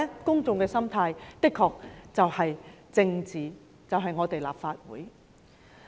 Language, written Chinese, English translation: Cantonese, 公眾的心態就是政治，即是立法會。, The mentality of the public refers to politics that is the Legislative Council